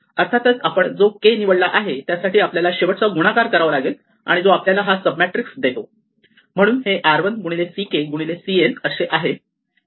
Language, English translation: Marathi, Of course, for that choose of k, we have to do one final multiplication which is to take these resulting sub matrices, so that is r 1 into c k into c n